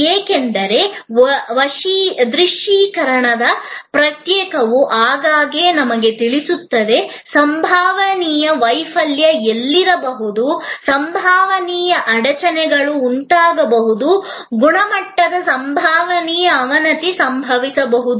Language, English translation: Kannada, Because, as we will see that process of visualization will often tell us, where the possible failure can be, possible bottlenecks can be, possible degradation of quality can occur